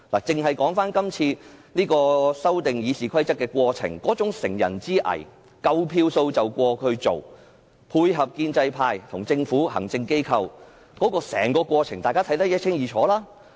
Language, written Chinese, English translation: Cantonese, 以今次修訂《議事規則》為例，完全是乘人之危，明知有足夠票數通過才提出有關的議案，建制派和政府互相配合，大家對於整個過程也看得一清二楚。, In the case of the current exercise to amend RoP pro - establishment Members have taken advantage of other Members in difficulties . They proposed the relevant motions knowing very well that they have enough votes to get them passed and the Government would collude with them . The whole process is evident to all